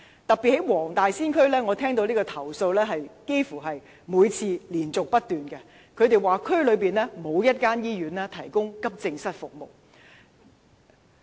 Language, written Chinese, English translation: Cantonese, 特別是在黃大仙區，我收到的投訴幾乎是連續不斷的，市民說區內沒有一間醫院提供急症室服務。, Particularly in the Wong Tai Sin District I have been receiving endless complaints about there being no hospital in the district to provide AE services